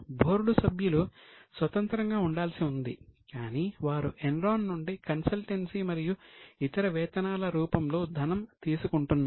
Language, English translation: Telugu, Board members are supposed to be independent but they were taking money from Enron in the form of consultancy and other fees